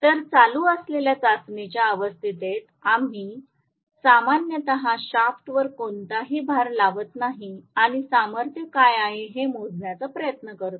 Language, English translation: Marathi, So, under free running test condition we normally apply no load on the shaft and try to measure what is the power